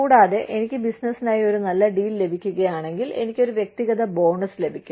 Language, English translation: Malayalam, And, if I get a good deal for the business, I could get a personal bonus